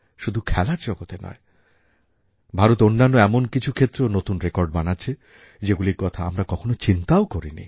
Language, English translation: Bengali, India is setting new records not just in the field of sports but also in hitherto uncharted areas